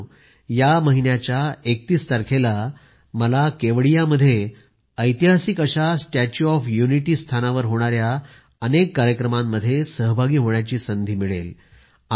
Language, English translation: Marathi, Friends, on the 31stof this month, I will have the opportunity to attend many events to be held in and around the historic Statue of Unity in Kevadiya…do connect with these